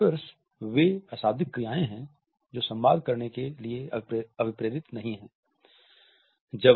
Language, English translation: Hindi, Adaptors are nonverbal acts that are not intended to communicate